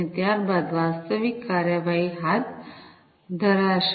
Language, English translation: Gujarati, And thereafter, the actual actions are going to be taken